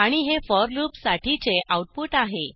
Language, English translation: Marathi, And this is the output for the for loop